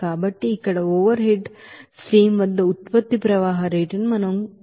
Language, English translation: Telugu, So we can see this here that product flow rates at the overhead stream here